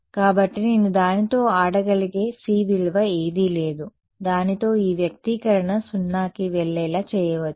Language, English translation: Telugu, So, there is no value of c that I can play around with that can make this expression going to 0